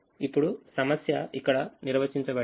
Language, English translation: Telugu, now the problem is defined here